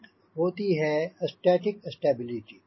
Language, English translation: Hindi, so one is static stability